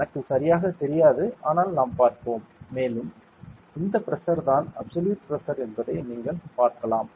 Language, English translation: Tamil, I do not know exactly, but, let us see and also you can see that the pressure is this Pressure is the absolute Pressure right